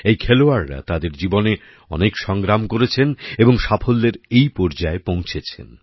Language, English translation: Bengali, These players have struggled a lot in their lives to reach this stage of success